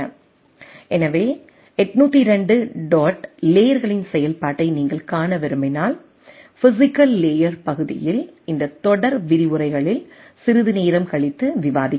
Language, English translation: Tamil, So, if you want to see that 802 dot layers functionality, so at the physical layer portion which will be discussing in sometime little later in this series of lectures